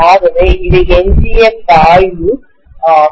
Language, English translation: Tamil, So we call this as the remnant flux